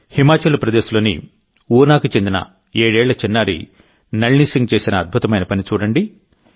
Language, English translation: Telugu, Look at the wonder of Nalini Singh, a 7yearold daughter from Una, Himachal Pradesh